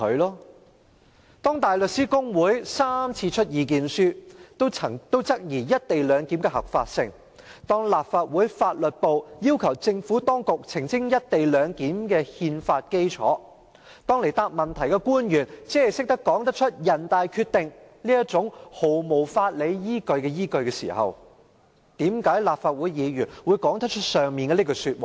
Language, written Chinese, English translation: Cantonese, "當香港大律師公會3次發表意見書質疑"一地兩檢"的合法性；當立法會秘書處法律事務部要求政府當局澄清"一地兩檢"的憲法基礎；當到來回答質詢的官員只是說得出"人大常委會決定"這種毫無法理依據的依據時，為何有些立法會議員可以說出以上的那句話？, When the Hong Kong Bar Association issued three statements to challenge the legality of the co - location arrangement; when the Legal Service Division of the Legislative Council Secretariat asked the Administration to clarify the constitutional basis of the co - location arrangement; and when the officials answering our questions here could only say that it is based on the decision of the Standing Committee of the National Peoples Congress which has no legal basis at all how come some Members of this Council could make the above remark?